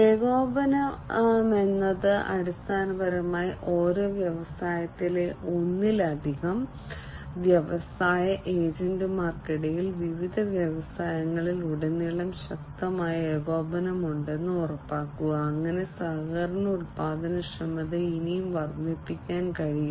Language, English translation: Malayalam, And coordination is basically to ensure that there is stronger coordination between multiple industry agents in the same industry, across different industries, and so on, so that the collaboration productivity can be increased even further